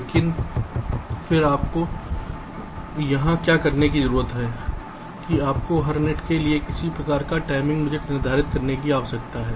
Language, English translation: Hindi, but again, what you need to do here is that you need to have some kind of timing budget for every net